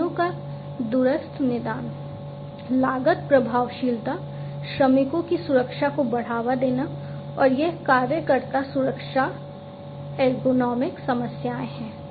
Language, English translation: Hindi, So, remote diagnosis of machines, cost effectiveness, boosting workers’ safety and this is you know worker safety ergonomic issues and so, on